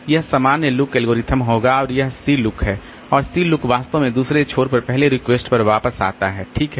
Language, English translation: Hindi, That will be the normal look algorithm and this is the C look and C look actually comes back to the other end till the first request on the other side